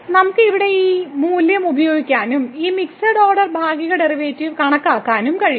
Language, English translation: Malayalam, Then we can use that value here and compute this mixed order partial derivative